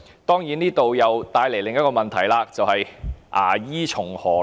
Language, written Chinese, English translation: Cantonese, 當然，這將會帶來另一個問題，便是"牙醫從何來？, Of course this will lead to another question that is where will the dentists come from?